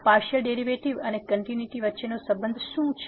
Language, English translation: Gujarati, So, what is the Relationship between the Partial Derivatives and the Continuity